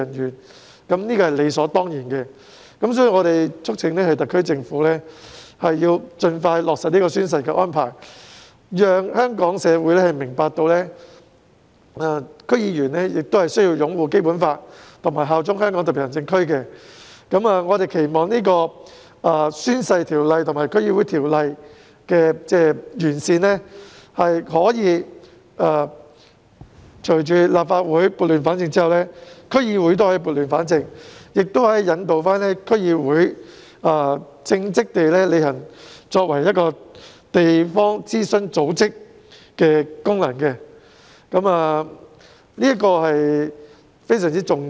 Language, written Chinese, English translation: Cantonese, 因此，有關安排是理所當然的，所以我們促請特區政府盡快落實宣誓安排，讓香港社會明白，區議員亦須擁護《基本法》和效忠香港特區。我們期望，《宣誓及聲明條例》和《區議會條例》的完善在立法會撥亂反正後，亦可以將區議會撥亂反正，引導區議會稱職地履行作為地方諮詢組織的功能，這點非常重要。, For these reasons the relevant arrangement is more than reasonable and this is why we have urged the SAR Government to expeditiously implement the oath - taking arrangement concerned so as to enable the Hong Kong community to understand that DC members must also uphold the Basic Law and bear allegiance to the Hong Kong Special Administrative Region